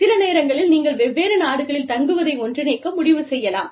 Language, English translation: Tamil, Sometimes, you may decide, to combine the stays, in different countries